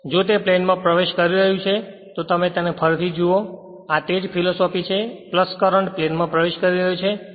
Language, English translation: Gujarati, So, if it is entering the plane then here it will be what you call if you look into this is your again the same philosophy this is the plus current is entering into the plane